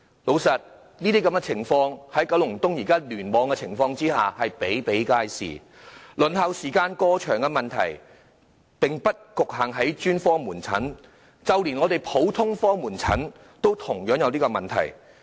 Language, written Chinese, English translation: Cantonese, 老實說，這些情況在九龍東聯網比比皆是，輪候時間過長的問題，並不局限於專科門診，就連普通科門診也出現同樣問題。, Frankly speaking these cases are commonplace in KEC and overly long waiting time is not exclusive to specialist outpatient services but also a problem for general outpatient services